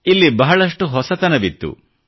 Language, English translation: Kannada, A lot about it was new